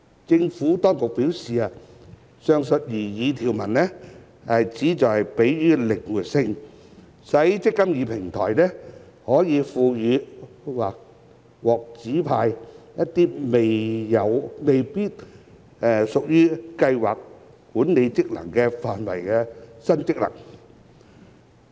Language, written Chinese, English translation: Cantonese, 政府當局表示，上述擬議條文旨在給予靈活性，使"積金易"平台可獲賦予或獲指派一些未必屬於計劃管理職能範圍的新職能。, The Administration has advised that the intention of the proposed provisions is to allow for flexibility such that the eMPF Platform may be conferred or assigned with some new functions which may not necessarily fall within the scope of scheme administration functions